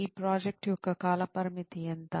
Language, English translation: Telugu, What is the timeframe for this project